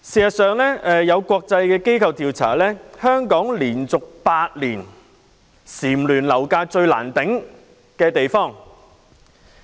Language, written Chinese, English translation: Cantonese, 有國際機構調查，香港連續8年蟬聯"樓價最難負擔"的地方。, According to a survey conducted by an international organization Hong Kong has been named the least affordable housing market for the eighth consecutive year